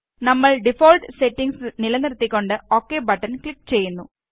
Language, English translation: Malayalam, So we keep the default settings and then click on the OK button